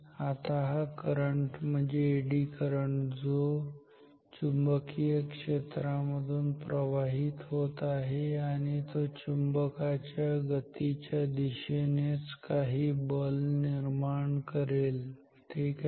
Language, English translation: Marathi, Now this current this current means this Eddy current, which is flowing in a magnetic field, generates a force in the same direction as the motion of the magnet ok